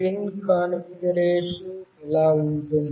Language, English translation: Telugu, The pin configuration goes like this